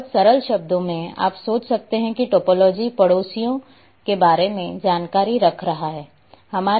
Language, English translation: Hindi, In in very simple terms you can think that topology is keeping information about neighbours